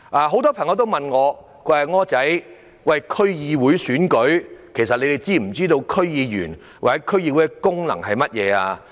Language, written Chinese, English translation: Cantonese, 很多朋友問我，"'柯仔'，區議會選舉在即，但大家是否知道區議會的功能及區議員的工作是甚麼？, Many friends asked me Wilson the DC Election is around the corner but does everyone know the functions of DCs and the work of DC members?